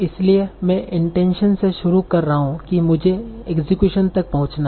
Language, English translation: Hindi, So I am starting with intention and I have to reach execution